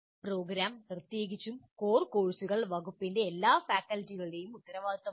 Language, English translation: Malayalam, And the program, especially the core courses, is the responsibility for all faculty in the department